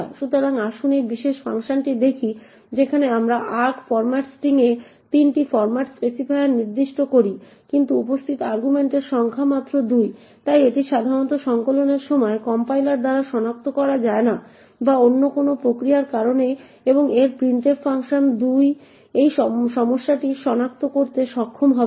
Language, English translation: Bengali, So, let us look at this particular function where we specify 3 format specifiers in arg format string but the number of arguments present is only 2, so this typically would not be detected by compilers during compilation or due to any other process and printf in its function 2 will not be able to detect this issue therefore typically these kind of issues will not be flagged by the compilers or by the function itself